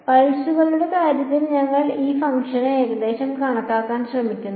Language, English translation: Malayalam, We are trying to approximate this function in terms of pulses